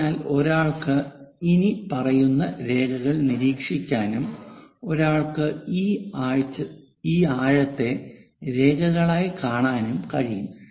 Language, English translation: Malayalam, So, one might be in a position to observe the following lines and one will be seeing this depth as lines